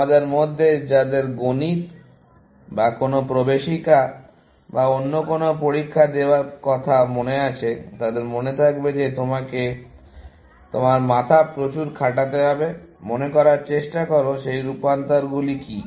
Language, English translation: Bengali, Those of you, who remember doing your Maths or some entrance exam or the other, you would remember that you have to break your head; try to remember, what are those transformations and so on